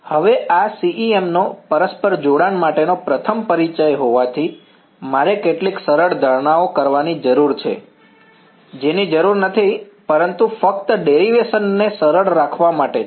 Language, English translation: Gujarati, Now, since this is the very first introduction of CEM to mutual coupling, I need to make some simplifying assumptions which is not required, but it is just to keep the derivation simple